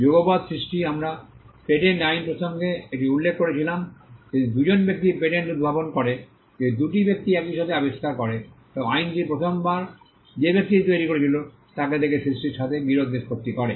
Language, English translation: Bengali, Simultaneous creation we had mentioned this in the context of patent law if two people invent a patent if two people invent an invention at the same time law settles dispute with regard to creation by looking at the person who created it the first time